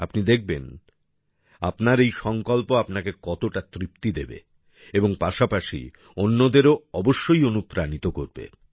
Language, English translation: Bengali, You will see, how much satisfaction your resolution will give you, and also inspire other people